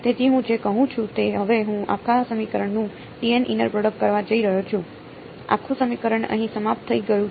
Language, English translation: Gujarati, So, what I am saying is now I am going to do t m inner product of the whole equation right, the whole equation is over here